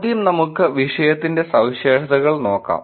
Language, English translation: Malayalam, First let us look at the topic characteristics